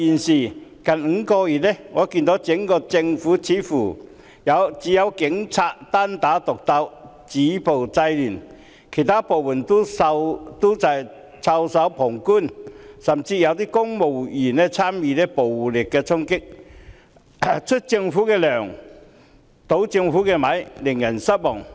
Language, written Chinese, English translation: Cantonese, 但近5個月來，我看到整個政府似乎只有警察單打獨鬥，止暴制亂，其他部門均袖手旁觀，甚至有公務員參與暴力衝擊，出政府的糧，倒政府的米，令人失望。, But over the past five months I have seen that the entire Government seemed to have only the Police Force fighting alone to stop violence and curb disorder while all the other departments just looked on with their arms folded . Worse still there were even civil servants taking part in violent storming and although they are on the Governments payroll they are causing troubles to the Government which is disappointing